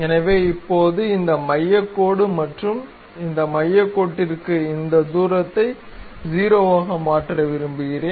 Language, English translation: Tamil, So, now the center line at this and we want to make this distance to this center line to be 0